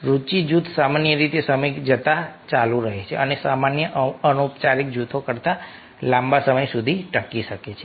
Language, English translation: Gujarati, interest group usually continue over time and may last longer than general informal groups